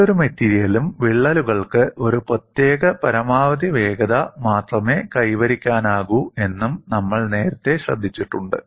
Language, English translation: Malayalam, And we have also noted earlier, cracks can attain only a particular maximum velocity in any material